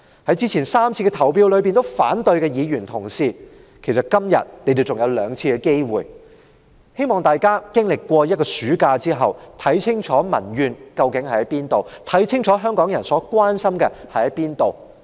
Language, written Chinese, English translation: Cantonese, 在之前3次投反對票的議員同事，今天還有兩次機會，希望大家在暑假過後，看清楚民怨，看清楚香港人關心甚麼。, Honourable colleagues who voted against the motions on the three previous occasions still have two more chances today . I hope Members can see clearly the public grievances and the concerns of Hong Kong people after the summer recess